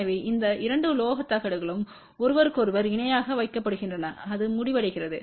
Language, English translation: Tamil, So, these two metallic plates are kept in parallel with each other and fed at that ends ok